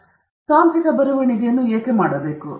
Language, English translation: Kannada, So, why should you do technical writing